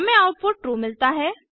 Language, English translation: Hindi, So we get the output as 32